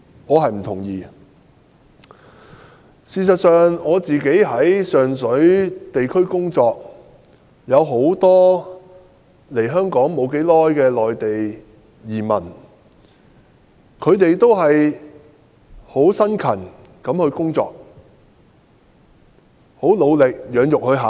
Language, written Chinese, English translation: Cantonese, 我在上水進行地區工作時遇到很多來港不久的內地新移民，他們都辛勤工作，努力養育下一代。, In the course of my district work in Sheung Shui I have met many new arrivals who have just come to Hong Kong from the Mainland . They are all hardworking in a bid to nurture their next generation